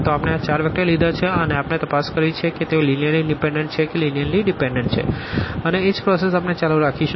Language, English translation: Gujarati, So, you have taken these 4 vectors now and we want to check whether they are linearly independent or they are linearly dependent the same process we will continue now